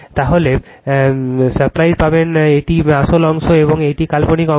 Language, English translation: Bengali, Then you simplify you will get this is the real part and this is the imaginary part